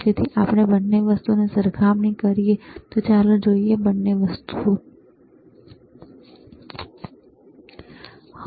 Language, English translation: Gujarati, So, if we if we compare both the things, let us see, both the things let us see